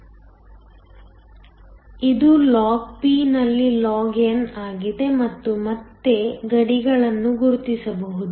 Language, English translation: Kannada, So, this is log on log and can again mark the boundaries